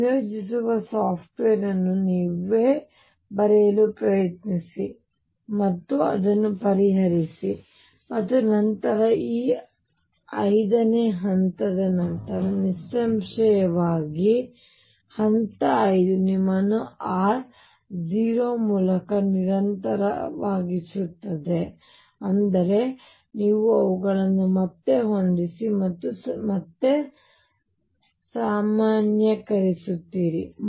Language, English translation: Kannada, Try to write the integrating software yourself and solve it and then after this step 5; obviously, yes then step 5 make u continuous through r naught; that means, you match them again and normalize